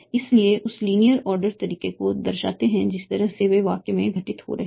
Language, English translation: Hindi, So this denote the linear order in which they are occurring in the sentence